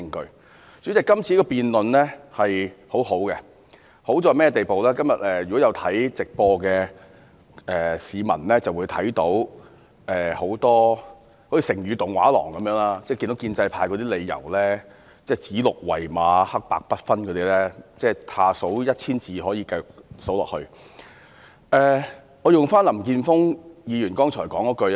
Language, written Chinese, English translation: Cantonese, 代理主席，今次的辯論很好，好處便是如果今天有觀看直播的市民便會看到很多如"成語動畫廊"的片段，例如建制派如何指鹿為馬、黑白不分等，以下可以繼續以一千字數下去。, Deputy President the debate this time is quite good as it seems to show to the public who are watching the telecast of todays debate another episode of the television programme Stories of Idioms about pro - establishment Members calling a stag a horse and confounding black and white and so on . I can go on enumerating that with 1 000 words